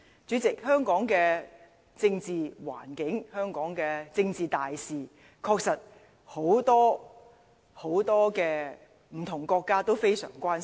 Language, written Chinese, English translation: Cantonese, 主席，對於香港的政治環境、香港的政治大事，很多不同的國家確實都非常關心。, President as a matter of fact many different countries are very concerned about the political environment and major political events in Hong Kong